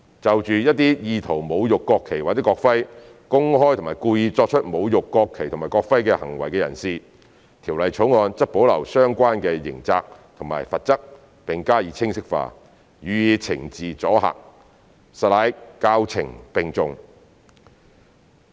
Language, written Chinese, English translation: Cantonese, 就着一些意圖侮辱國旗或國徽、公開及故意作出侮辱國旗或國徽行為的人士，《條例草案》則保留相關刑責和罰則並加以清晰化，予以懲治阻嚇，實乃教懲並重。, Regarding some people who intend to desecrate the national flag or national emblem or commit public and intentional desecrating acts in relation to the national flag and national emblem the Bill has kept the related criminal liability and penalties and has made them clearer in a bid to punish and deter people from committing such acts showing that education and punishment go hand in hand